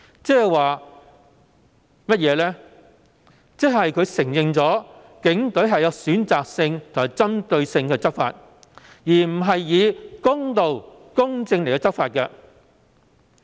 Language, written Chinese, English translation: Cantonese, 就是他也承認警隊是選擇性及針對性而非公道和公正地執法。, He also admitted that the Police were enforcing the law in a selective and targeted manner rather than in a fair and just manner